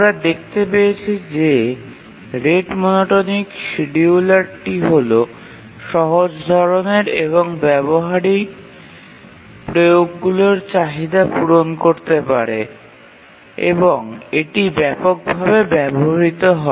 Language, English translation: Bengali, And we found that the rate monotonic scheduler is the one which is simple and it can meet the demands of the practical applications and that's the one which is actually used widely